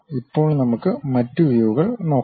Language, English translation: Malayalam, Now, let us look at other views